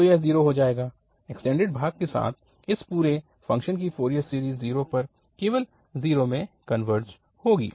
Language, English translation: Hindi, So it will become 0, the Fourier series of this whole function with the extended portion will converge to the 0, to 0 at 0 only